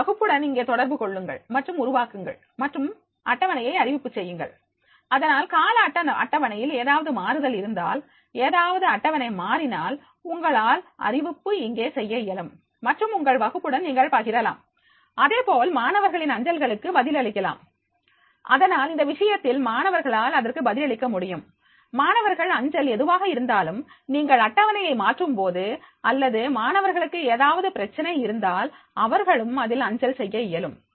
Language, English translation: Tamil, Communicate with your class here and create and schedule announcements, so therefore if there is any change in the timetable, any schedule is changing you can make the announcement here and you can share that with your class, similarly respond to the student post, so therefore, in that case the students they will be able to respond that, whatever the student post is there, so if you are changing the schedule and if the student is having any problem he can make the post also there